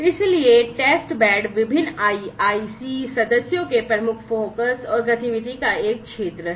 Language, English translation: Hindi, So, testbeds are an area of major focus and activity of the different IIC members